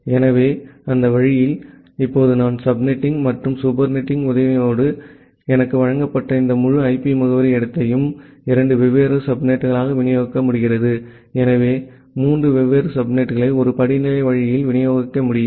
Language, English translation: Tamil, So, that way, now I am able to with the help of the subnetting and supernetting I am able to distribute this entire IP address space that was given to me into two different subnets, so or three different subnets in a hierarchical way